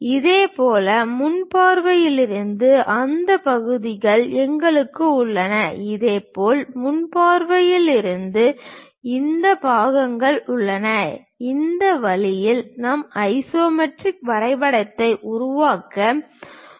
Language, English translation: Tamil, Similarly, from the front view we have those parts, from similarly front view we have these parts, in this way we can construct our isometric drawing